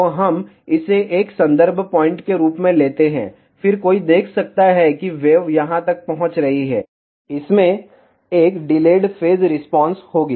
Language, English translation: Hindi, So, let us take this as a reference point, then one can see that the wave reaching over here will have an dilate phase response